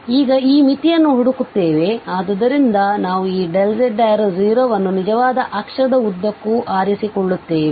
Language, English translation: Kannada, We will look for this limit now, so we choose that this delta z approaches to 0 along the real axis